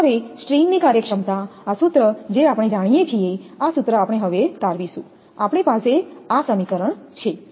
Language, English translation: Gujarati, Now, string efficiency this formula we know, this formula we have derived now, we have from this equation